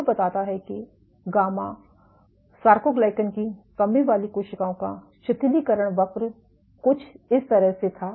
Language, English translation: Hindi, Whatever with the relaxation curve for gamma soarcoglycan deficient cells the curve was somewhat like this